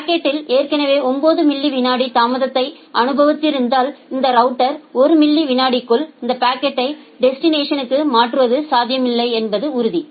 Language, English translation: Tamil, If the packet has already experienced 9 millisecond of delay and this router is very sure that it is impossible to transfer this packet to the destination within 1 millisecond